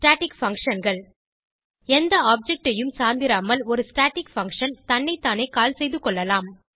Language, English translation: Tamil, Static functions A static function may be called by itself without depending on any object